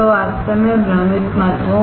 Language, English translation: Hindi, So, do not get really confused